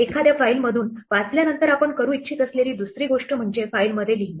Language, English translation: Marathi, Having read from a file then the other thing that we would like to do is to write to a file